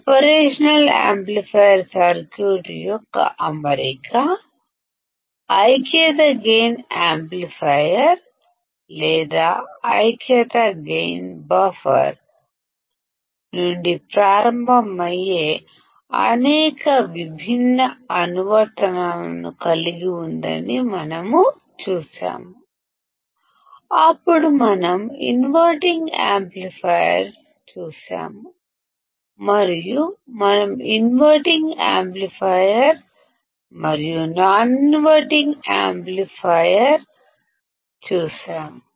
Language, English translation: Telugu, We have seen that the operational amplifier circuit’s configuration includes several different applications starting from the unity gain amplifier or unity gain buffer; then we have seen inverting amplifier, then we will see inverting amplifier and non inverting amplifier, then we will see summing amplifier, we will see integrator, we will see differentiator and not only that we will also see filters